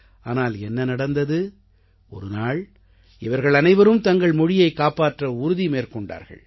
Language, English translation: Tamil, And then, one fine day, they got together and resolved to save their language